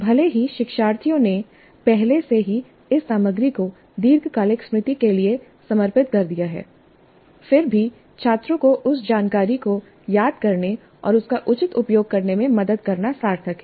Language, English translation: Hindi, So even if the learners have already committed this material to long term memory, it is worthwhile to help students practice recalling that information and using it appropriately